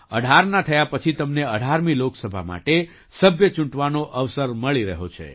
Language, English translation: Gujarati, On turning 18, you are getting a chance to elect a member for the 18th Lok Sabha